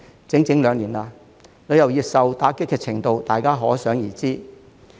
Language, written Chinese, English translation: Cantonese, 整整兩年了，旅遊業受打擊程度可想而知。, It has been a good two years and you can imagine how heavy the blow to the tourism industry is